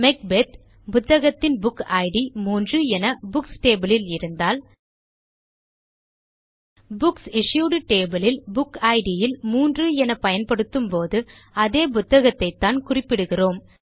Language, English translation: Tamil, So if the book, Macbeth, has its Book Id as 3 in the Books table, Then by using 3 in the Book Id of the Books Issued table, we will still be referring to the same book